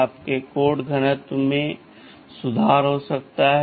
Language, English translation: Hindi, Yyour code density can further improve right